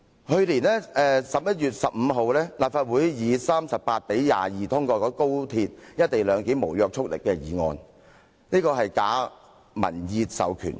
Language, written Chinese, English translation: Cantonese, 去年11月15日，立法會以38比22票表決通過高鐵"一地兩檢"無約束力議案，是假民意授權。, On 15 November last year the non - binding motion on the co - location arrangement for XRL was passed by 38 votes to 22 in this Council